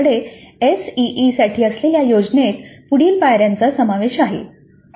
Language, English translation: Marathi, So the plan that we have for ACE includes the following steps